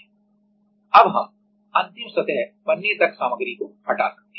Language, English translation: Hindi, Now, we can remove material until the final surface is created